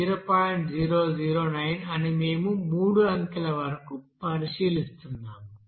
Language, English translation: Telugu, 009 up to here three digit we are considering